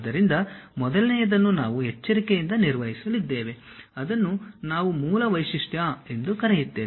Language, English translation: Kannada, So, the first one what we are going to construct carefully that is what we call base feature